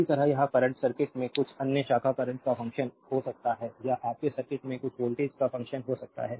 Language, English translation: Hindi, Similarly, this current is may be the function of some other branch current in the circuit or may be function of some voltage across the, your circuit